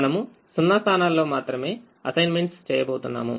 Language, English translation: Telugu, we make assignments only in zero positions